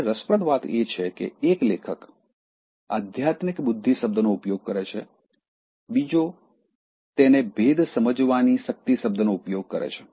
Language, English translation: Gujarati, ” Now what is interesting is, one author uses the term spiritual intelligence, the other one uses the term discrimination